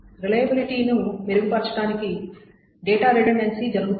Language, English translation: Telugu, So data redundancy is done to improve the reliability